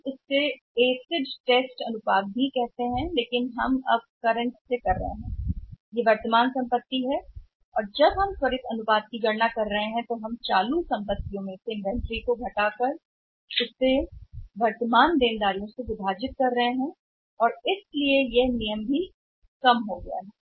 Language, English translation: Hindi, We call it as asset ratios also but now we are doing that from the current; now from the, this is the current assets and what we are doing now currently when we are calculating the current quick ratio we are only doing this that is current assets minus inventory divided by the current liabilities and that is why the rule of thumb has also come down